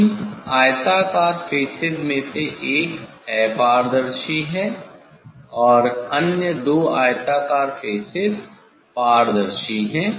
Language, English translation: Hindi, out of three rectangular faces, one is opaque nontransparent and other two rectangular are transparent